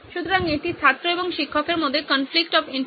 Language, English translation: Bengali, So this is the conflict of interest between the student and the teacher